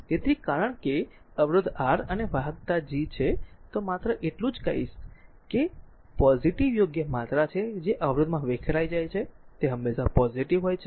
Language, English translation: Gujarati, So, since resistance R and conductance G are just what I will told, that it is positive right quantities the power dissipated in a resistor is always positive